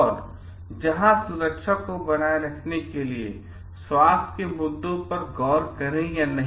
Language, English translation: Hindi, And where the like maintaining safety, whether look into the health issues or not